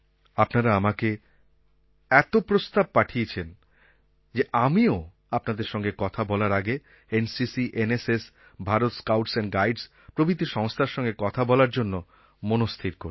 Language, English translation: Bengali, I want you to motivate the youth as much as you can, and I want the government to also promote NCC, NSS and the Bharat Scouts and Guides as much as possible